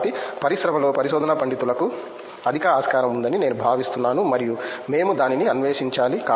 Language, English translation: Telugu, So, I feel that there is high scope for research scholars out there in the industry and we should explore it that